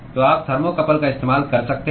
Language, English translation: Hindi, So you could use a thermocouple